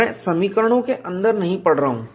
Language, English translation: Hindi, I am not getting into the equations